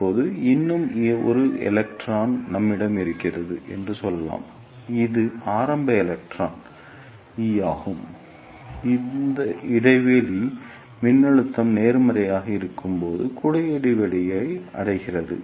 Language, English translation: Tamil, Now, let us say we have one more electron that is early electron e e which reaches the cavity gap when the gap voltage is positive